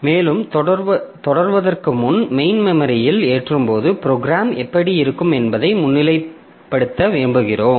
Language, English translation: Tamil, Rather rather we would like to see how this program will look like when it is loaded into the main memory